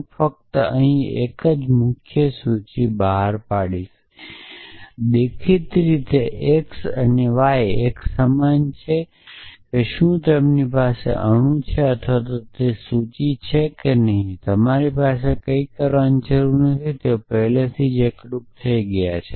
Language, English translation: Gujarati, I will just list out the salient once here; obviously x and y are the same whether they have atom or whether they have a list then you do not need to do anything they already unified essentially